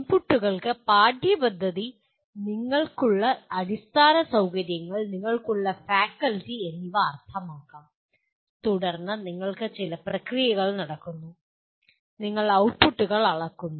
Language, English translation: Malayalam, Inputs could mean the curriculum, the kind of infrastructure that you have, and the faculty that you have ,and then with all that you have certain processes going on, and then you measure the outputs